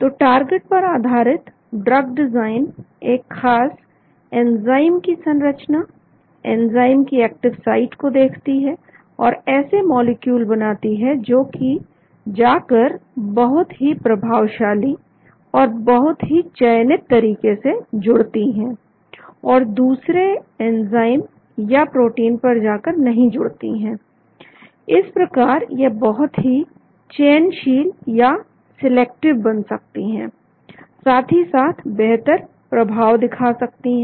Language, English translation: Hindi, So the target based drug design looks at the specific enzyme structure, the active site of the enzyme and design molecules which will go and bind very effectively, very selectively and not go and bind to other enzymes or proteins thereby they can become very selective as well as they could have better efficacy